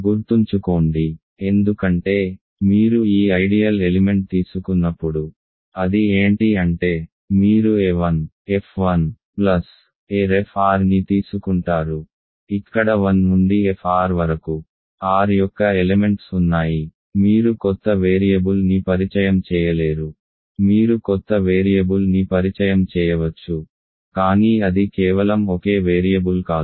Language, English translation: Telugu, Because remember, when you take and the element of this ideal; that means, you take a 1 f 1 plus a r f r, where a 1 through fr are elements of R you cannot introduce a new variable, you can introduce a new variable, but it cannot just be a single variable ok